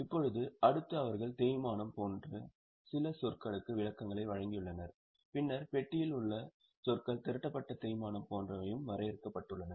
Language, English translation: Tamil, Now next they have given definitions of some of the terms like depreciation, then the terms in the box have also been defined like accumulated depreciation